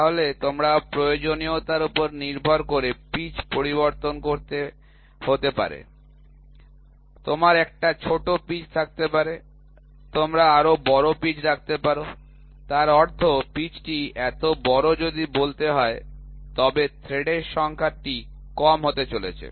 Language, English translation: Bengali, So, pitch can change depending upon your requirement you can have a smaller pitch, you can have a larger pitch; that means, to say if the pitch is large so, then that number of threads are going to be less